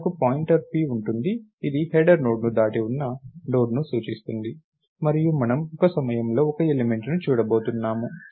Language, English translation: Telugu, So, we will have a pointer p which points to a Node which is past the header Node and we are going to look at one element at a time